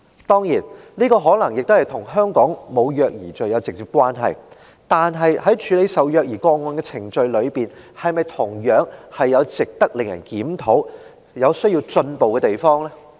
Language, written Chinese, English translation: Cantonese, 當然，這可能與香港沒有虐兒罪有直接關係，但是，在處理虐兒個案的程序中，是否同樣有值得檢討及需要進步的地方呢？, Of course the absence of offence for child abuse in Hong Kong may have some direct bearing on that . In respect of the procedures for handling child abuse cases however is there anything that equally warrants a review and calls for improvement?